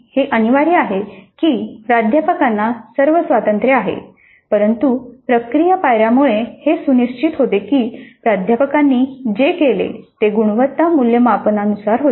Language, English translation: Marathi, It is essentially faculty has all the freedom but the process steps ensure that what the faculty does results in quality assessment